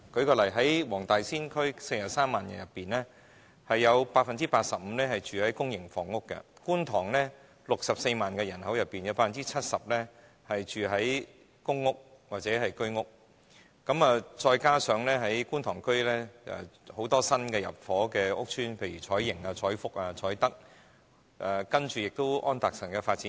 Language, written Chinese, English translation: Cantonese, 舉例，黃大仙區43萬人口當中 ，85% 居住於公營房屋；而觀塘64萬人口當中 ，70% 居住於公屋或居屋，加上觀塘區有很多新入伙的屋邨，例如彩盈邨、彩福邨及彩德邨，還有安達臣道的發展區。, For instance 85 % of the 430 000 population in the Wong Tai Sin District live in public housing; and 70 % of the 640 000 population in the Kwun Tong District live in public housing or Home Ownership Scheme flats . On top of that there are many new public housing estates in Kwun Tong such as Choi Ying Estate Choi Fook Estate Choi Tak Estate as well as the Anderson Road development area